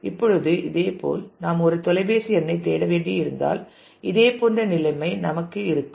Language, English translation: Tamil, Now, similarly if we have to search for a phone number we will have similar situation